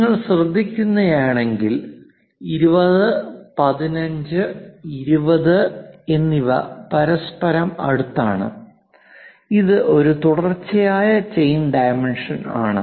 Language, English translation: Malayalam, If you are noting 20 15 20 next to each other and it is a continuous chain dimensioning